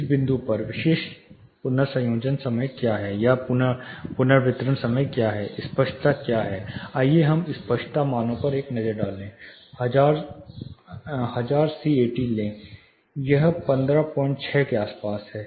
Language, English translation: Hindi, At this point what is the specific reverberation time what is the clarity, say let us take a look at the clarity values, say take at say thousand c 80, it is around 15